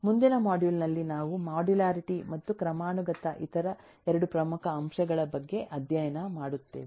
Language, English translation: Kannada, in the next module we will study about the other 2 major elements of modularity and hierarchy